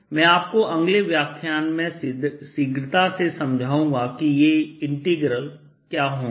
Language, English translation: Hindi, let me quickly tell you what these integrals will be and i'll explain them in the next lecture